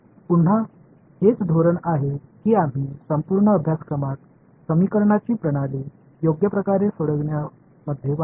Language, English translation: Marathi, Again this is the key strategy we will use throughout this course in solving systems of equations right